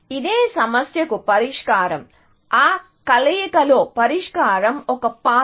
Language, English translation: Telugu, The solution in that combination was a path